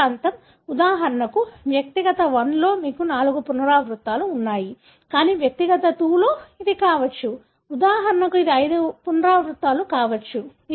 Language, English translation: Telugu, The same region, for example in individual 1, you have 4 repeats, but in individual 2, it could be, for example it could be 5 repeats